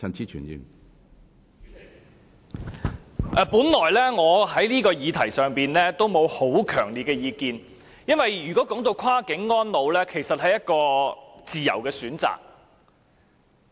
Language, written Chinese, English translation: Cantonese, 主席，我本來就此議題沒有很強烈的意見，因為跨境安老是自由的選擇。, President I originally do not have a strong view on this subject because it is ones free will to spend their twilight years across the boundary